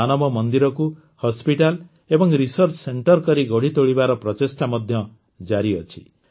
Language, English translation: Odia, Efforts are also on to develop Manav Mandir as a hospital and research centre